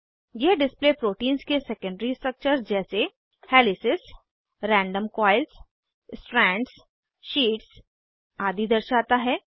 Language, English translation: Hindi, This display shows the secondary structure of protein as helices, random coils, strands, sheets etc